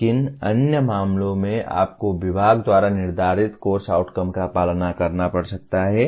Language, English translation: Hindi, But in other cases you may have to follow the course outcomes as defined by the department itself